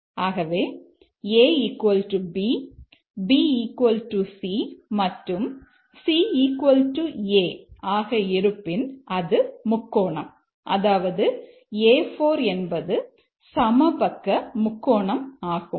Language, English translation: Tamil, So if it is a triangle, if it is A equal to B, B equal to C is equal to A, then it is a A4 is a equilateral triangle